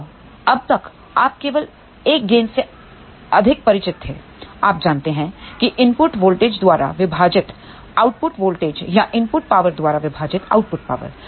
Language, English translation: Hindi, Now, till now you might be more familiar with only 1 gain; you know output voltage divided by input voltage or output power divided by input power